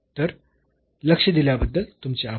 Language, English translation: Marathi, So, thank you very much for your attention